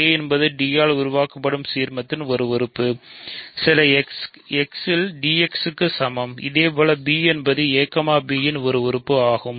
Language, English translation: Tamil, So, a is an element of the ideal generated by d; that means, a is equal to d x for some x; similarly b is an element of a, b